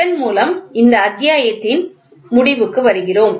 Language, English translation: Tamil, So, with this we come to an end to this chapter